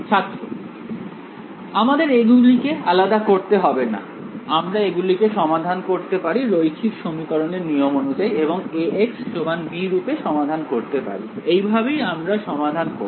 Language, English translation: Bengali, We will not need to decouple them, we can solve them as we will form a linear system of equations from here, and solve it as A x is equal to b, that is how will solve it